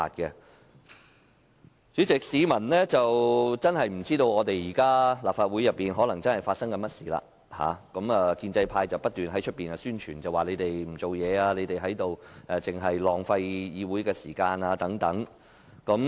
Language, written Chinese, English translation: Cantonese, 代理主席，市民可能不知道現時立法會發生甚麼事。建制派不斷在外面宣傳說我們不做事，只是浪費議會時間。, Deputy President members of the public may not know what is going on in the Legislative Council given that the pro - establishment camp has been telling people that we do nothing except wasting the Councils time